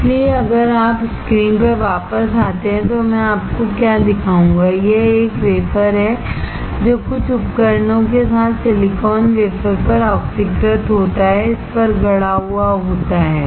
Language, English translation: Hindi, So, if you come back on the screen what I will show you is, this1 wafer, which is oxidized silicon wafer with some devices fabricated on it